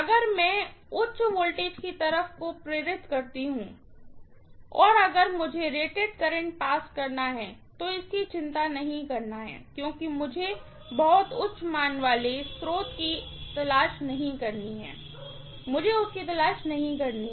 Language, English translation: Hindi, So, high voltage side if I energise and if I have to pass rated current, then I don’t have to worry so much because I do not have to look for very high current value source, I do not have to look for that